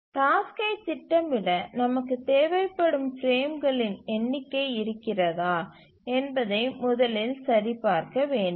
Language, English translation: Tamil, The first thing we need to check whether the number of frames that we require to schedule the task exists